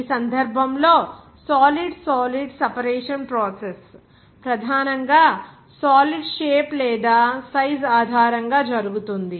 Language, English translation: Telugu, In this case, the solid solid separation process is carried out mainly based on the size or shape of the solid